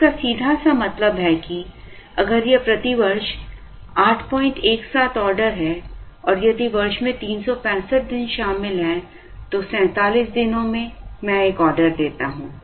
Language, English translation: Hindi, 17 orders per year and if the year comprises of 365 then it is like 47 days I place an order